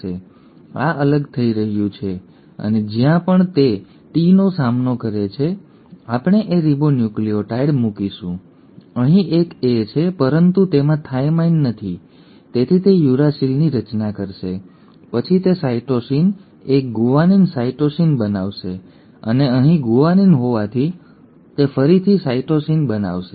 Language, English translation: Gujarati, So this has separated and wherever it encounters a T, here we will put a A, ribonucleotide, here there is an A, but it does not have a thymine so it will form a uracil, then it will form cytosine, a guanine, a cytosine and here since there was a guanine it will form a cytosine again